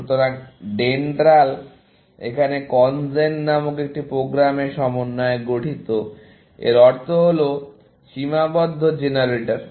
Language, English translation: Bengali, So, DENDRAL was made up of a program called CONGEN, and this stands for Constraint Generator